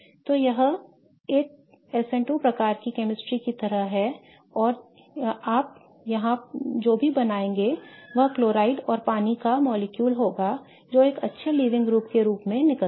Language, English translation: Hindi, So, this is more like an S in 2 type of chemistry and what you will create here will be the chloride and water molecule that leaves as a good leaving group